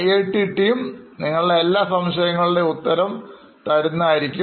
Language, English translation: Malayalam, So, the team from IITB would like to respond to all your queries